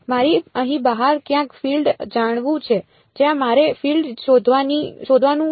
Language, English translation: Gujarati, I want to know the field somewhere outside here right that is where I want to find out the field